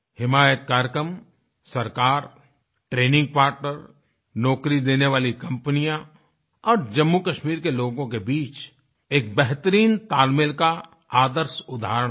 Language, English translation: Hindi, The 'HimayatProgramme'is a perfect example of a great synergy between the government, training partners, job providing companies and the people of Jammu and Kashmir